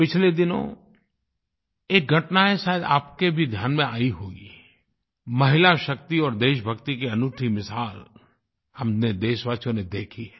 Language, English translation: Hindi, You might have noticed one recent incident, a unique example of grit, determination and patriotism that was witnessed by all countrymen